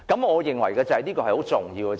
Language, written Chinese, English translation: Cantonese, 我認為這是相當重要的。, I think it is rather important